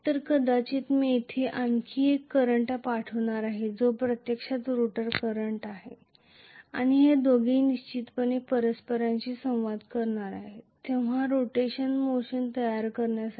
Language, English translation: Marathi, So, maybe I am going to have one more current passed here which is actually the rotor current and both of them are definitely going to interact with each other ultimately to produce the rotational motion